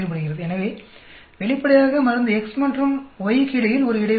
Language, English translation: Tamil, So obviously, there is an interaction between drug X and Y